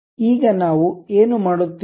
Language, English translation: Kannada, Now, what we will do